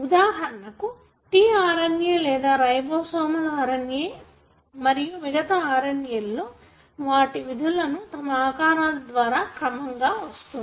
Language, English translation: Telugu, For example, tRNA or ribosomal RNA and many other RNA’s, they function with the structures that they get because of the sequence that they have